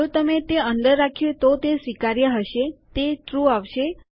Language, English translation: Gujarati, If you had that inside, that would be acceptable that would be true